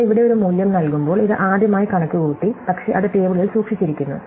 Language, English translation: Malayalam, So, when we return a value here, it has been computed for the first time, but it has been stored in the table